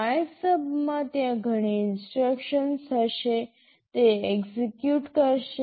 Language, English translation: Gujarati, In MYSUB, there will be several instructions, it will execute